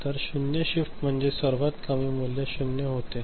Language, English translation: Marathi, So, zero shift means earlier it was the lowest value was zero right